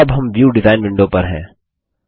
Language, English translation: Hindi, Now, we are in the View design window